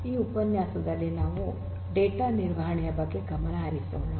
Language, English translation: Kannada, In this particular lecture we will focus on data management